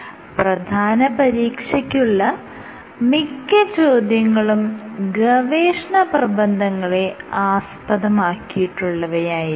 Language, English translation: Malayalam, Again most of the questions for the final exam will be based on the research papers